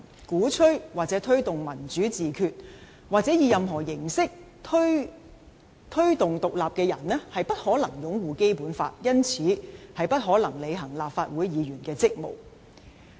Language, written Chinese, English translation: Cantonese, 鼓吹或推動'民主自決'或以何種形式提議獨立的人士不可能擁護《基本法》，因此不可能履行立法會議員的職責。, If a person advocates or promotes self - determination or independence by any means he or she cannot possibly uphold the Basic Law or fulfil his or her duties as a legislator